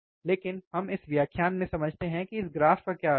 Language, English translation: Hindi, But let us understand from this lecture, what this graph means